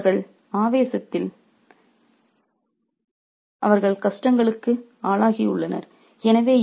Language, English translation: Tamil, So, they have undergone hardships because of their obsession